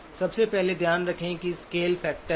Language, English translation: Hindi, First of all, keep in mind that there is a scale factor